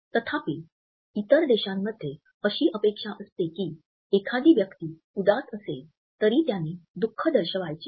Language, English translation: Marathi, However, in other countries it is expected that a person will be dispassionate and not show grief